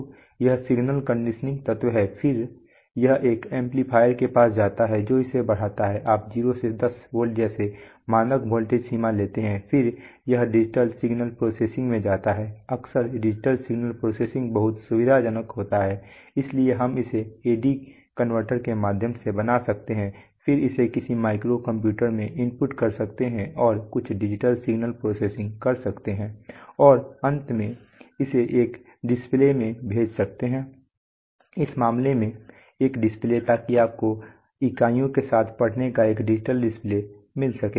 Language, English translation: Hindi, So this is the, so these are you know signal conditioning elements then it goes to an amplifier which amplifies it to, you know standard voltage ranges like 0 to 10 volts, then it goes to, if we, most often it is very convenient to have digital signal processing, so we can make it through an A/D converter then input it into maybe some micro computer and do some digital signal processing and then finally send it to a, in this case a display, so you get a digital display of the reading along with units, right